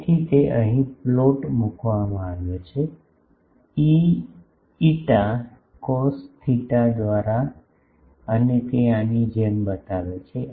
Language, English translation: Gujarati, So, that has been put plot here, E phi by cos theta and it shows like this